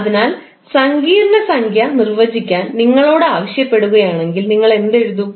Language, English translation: Malayalam, So, if you are asked to define the complex number, what you will write